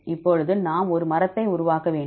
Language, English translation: Tamil, Now we need to construct a tree